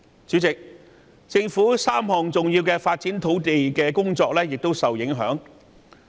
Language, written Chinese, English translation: Cantonese, 主席，政府3項重要的土地發展工作亦受到影響。, President three major land development projects of the Government have also been affected